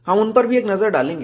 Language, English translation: Hindi, We will also have a look at them